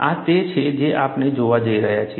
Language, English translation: Gujarati, This is what we are going to look at